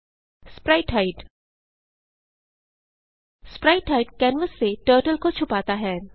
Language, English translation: Hindi, spritehide spritehide hides Turtle from canvas